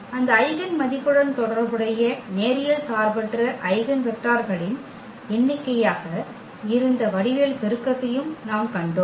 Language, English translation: Tamil, And we have also seen the geometric multiplicity that was the number of linearly independent eigenvectors associated with that eigenvalue